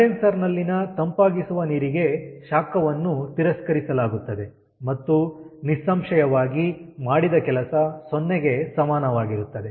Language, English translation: Kannada, heat is rejected to the cooling water in the condenser and obviously work done is equal to zero